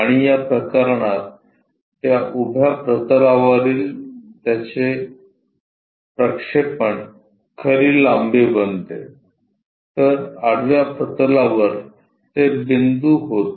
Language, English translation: Marathi, And its projection on that vertical plane for this case becomes true length on the horizontal plane it becomes a point